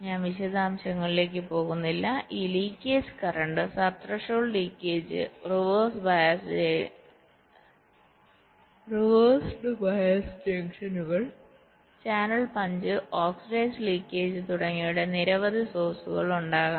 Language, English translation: Malayalam, there can be several sources of these leakage currents: sub threshold leakage, reversed bias, junctions, channel punch through oxide leakage, etcetera